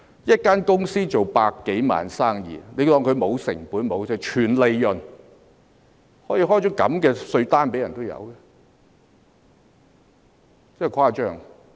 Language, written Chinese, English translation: Cantonese, 一間公司做百多萬元生意，便假設它沒有成本、全部是利潤，竟然可以開出這樣的稅單，真誇張。, Just because it had a 1 million - plus turnover a company was assumed to bear no costs . It was too much of a stretch to issue such a tax demand note mistaking the whole turnover for profit